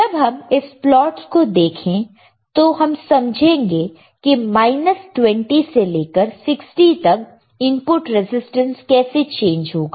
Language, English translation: Hindi, Then we look at this plots we will understand with temperature from minus 20 to 60 how the input resistance will change